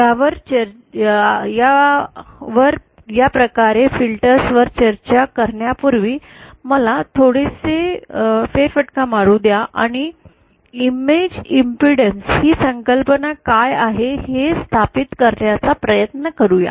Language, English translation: Marathi, Before discussing this, this type of filter let me a slight diversion and let us just try to establish what is this concept of image impedance